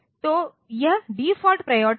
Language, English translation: Hindi, So, this is the default priority